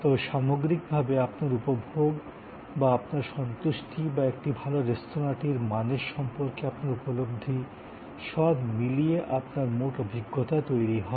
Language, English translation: Bengali, But, on the whole, your enjoyment or your satisfaction or your perception of quality of a good restaurant is the total experience